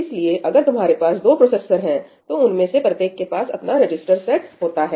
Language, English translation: Hindi, So, if you have let us say two processors, each one of them has their own register set